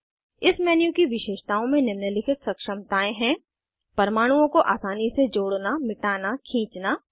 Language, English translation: Hindi, Features of this menu include ability to * Easily add, delete, drag atoms